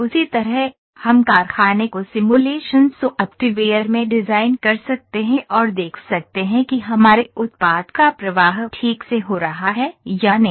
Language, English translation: Hindi, In a same way, we can design the factory in simulation software and see whether our product flow is going properly or not